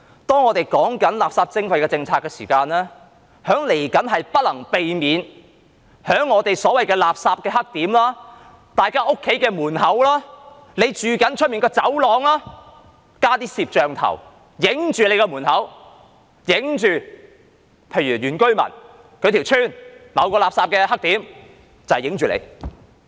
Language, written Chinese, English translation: Cantonese, 當我們就垃圾徵費制訂政策的時候，將來不能避免在所謂的垃圾"黑點"、大家的家門前或居所外的走廊會加裝一些攝像鏡頭，對着你的門口拍攝，又例如拍攝原居民村落某個垃圾"黑點"，你丟垃圾就罰你。, When a policy on waste charging is formulated it is inevitable that in the future video cameras will be installed at the so - called refuse dumping blackspots or at places in front of our doorsteps or in the corridors outside our homes pointing right at our doorway and shooting pictures or taking pictures at a certain refuse disposal blackspot in an indigenous village and when you litter you will be punished